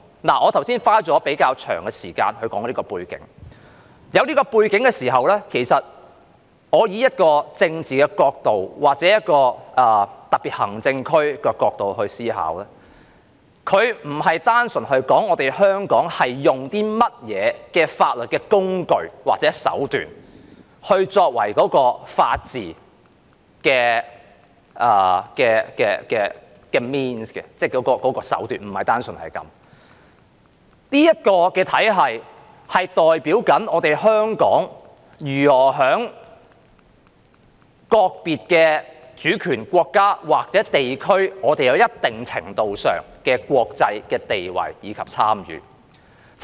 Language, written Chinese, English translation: Cantonese, 我剛才花了比較長時間講述這個背景，有了這個背景後，從政治角度或特別行政區的角度來思考，它並非單純指香港採用甚麼法律工具或手段作為法治的 means， 即手段，而是這個體系代表香港如何在各主權國家或地區有一定程度上的國際地位和參與。, I have spent quite some time talking about this background and with this background in mind if we think about it from a political viewpoint or from the SARs perspective it is not purely about what legal tool or means that Hong Kong has adopted for the purpose of the rule of law but this very system stands for how Hong Kong can to a certain extent have an international standing and participation vis - a - vis various sovereign states or regions